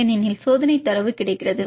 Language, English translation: Tamil, So, what the experimental data we get